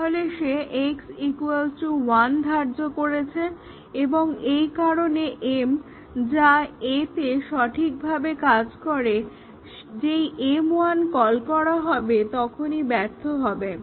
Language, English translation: Bengali, So, he assigned x is equal to 1 and therefore, m which work correctly in A once m 1 is called, will fail, the method m will fail in the extended class B